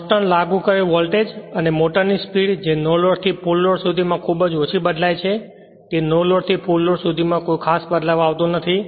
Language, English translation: Gujarati, At constant applied voltage and motor speed varies very little from no load to full load not much change in the no load to full load